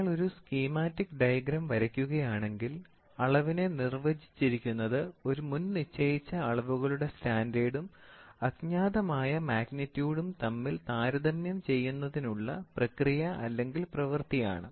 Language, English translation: Malayalam, So, if you put it in a schematical diagram, so the definition of measurement is defined as the process or the act of obtaining a quantitative comparison between a predefined standard and unknown magnitude